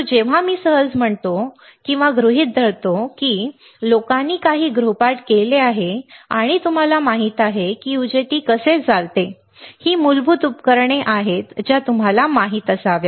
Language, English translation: Marathi, Whenever I say easy; I assume that you guys have done some homework and you know how the UJT operates, these are basic devices you should know